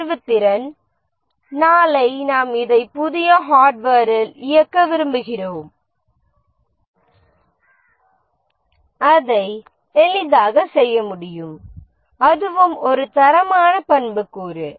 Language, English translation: Tamil, Portability, tomorrow we want to run this on new hardware, we should be able to easily do it